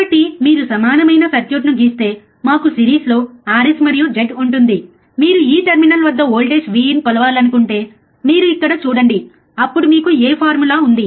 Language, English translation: Telugu, So, if you draw equivalent circuit we will have r s and Z in series, if you want to measure the voltage V in this terminal which you see here, then what formula you have